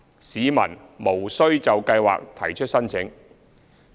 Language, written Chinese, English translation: Cantonese, 市民無須就計劃提出申請。, Commuters do not have to apply for the Scheme